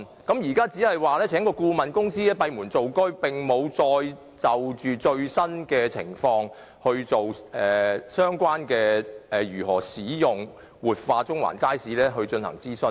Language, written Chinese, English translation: Cantonese, 現在，當局只聘請顧問公司閉門造車，並沒有再就最新的情況進行如何使用、活化中環街市的相關諮詢。, Now the authorities only count on a consultancy firm to subjectively conduct a study without conducting another consultation on the latest public views on the use and revitalization of the Central Market Building